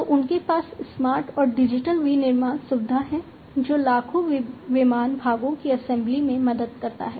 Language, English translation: Hindi, So, they have the smart and digital manufacturing facility, which helps in the assembly of millions of aircraft parts